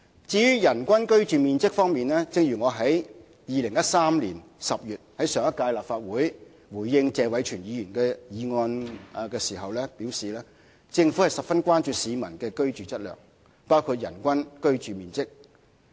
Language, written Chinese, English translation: Cantonese, 至於人均居住面積，正如我在2013年10月回應上屆立法會議員謝偉銓的議案時表示，政府十分關注市民的居住質素，包括人均居住面積。, As I said when responding to the motion moved by former Legislative Council Member Mr Tony TSE in October 2013 the Government has attached great importance to peoples quality of living including the average living space per person